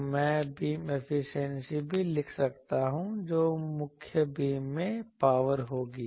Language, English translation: Hindi, So, I can also write beam efficiency that will be power in the main beam